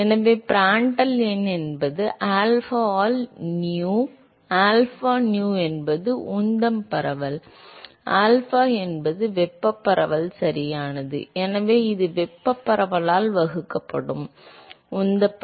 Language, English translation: Tamil, So, Prandtl number is alpha by nu by alpha, nu is momentum diffusivity, alpha is thermal diffusivity right, so this is momentum diffusivity divided by thermal diffusivity